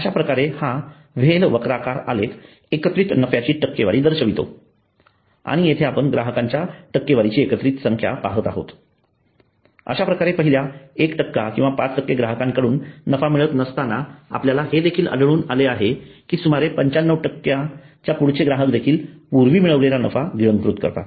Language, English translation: Marathi, so this is the whale curve shows the cumulative profit percentage and here we see cumulative number of customers percentage so while the first 1 percent or 5 percent of the customers do not make a profit we find that around 95 percent of customers also eat away from the profits received earlier so this is the whale curve which shows that it to manage customers so they are not on profitable for the company